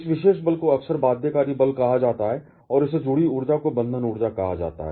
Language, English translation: Hindi, This particular force is often called the binding force and the energy associated with this is called the binding energy